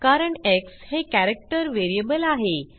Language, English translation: Marathi, This is because x is a character variable